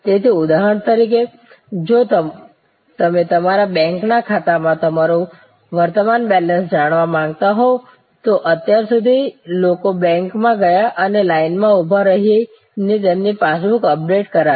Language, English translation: Gujarati, So, for example, if you want to know your current balance at your bank account till very recently people went to the bank and stood in the line and got their passbook updated